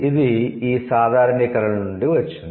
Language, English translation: Telugu, So, this comes from the generalizations